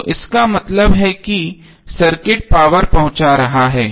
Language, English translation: Hindi, So it implies that the circuit is delivering power